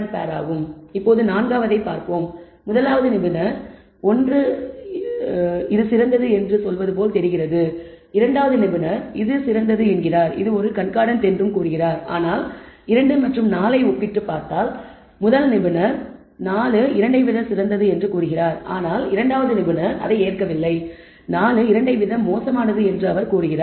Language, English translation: Tamil, Let us look at the fourth and the first one looks like expert 1 says it is better, expert 2 also says it is better concordant, but the second and fourth if you com pare expert 1 says it is better fourth one is better than the second, but expert 2 disagrees he says the fourth thing is worse than the second one